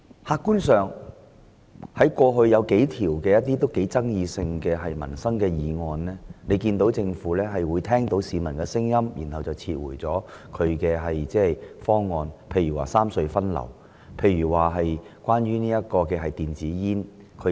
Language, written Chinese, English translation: Cantonese, 客觀而言，政府過去曾提出多項具爭議性的民生議案，但在聆聽市民的聲音後撤回方案，例如三隧分流和規管電子煙等。, Objectively speaking the Government has withdrawn on several occasions its controversial livelihood proposals after listening to public views . Some such examples include its proposal on the distribution of traffic among the three tunnels and the regulation of electric cigarettes